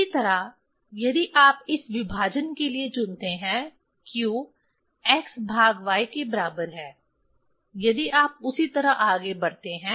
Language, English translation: Hindi, Similarly, if you choose for this division; q equal to x by y, if you proceed same way